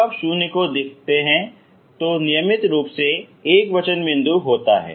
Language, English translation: Hindi, When you have when you look at 0 is singular point regular singular point